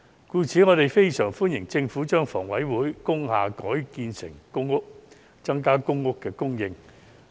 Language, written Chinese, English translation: Cantonese, 故此，我們非常歡迎政府把香港房屋委員會轄下的工廠大廈改建為公屋，增加公屋供應。, Therefore we very much welcome the Governments proposal to convert industrial buildings under the Housing Authority into public housing to increase public housing supply